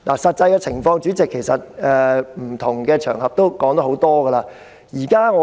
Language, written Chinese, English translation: Cantonese, 實際情況，議員在不同場合皆已多次討論。, The details have been discussed many times by Members on various occasions